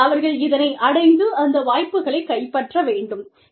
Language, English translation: Tamil, And, they need to be able to grab, those opportunities